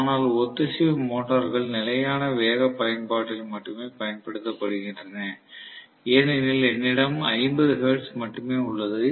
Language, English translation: Tamil, But invariably synchronous motors are used only in constant speed application because I have only 50 hertz